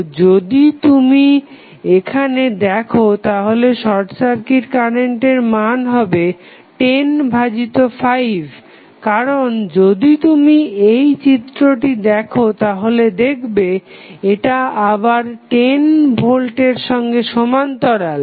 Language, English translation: Bengali, So, if you see here the value of short circuit current is given by first 10 divided by 5 because if you see this figure this is again in parallel with 10 volt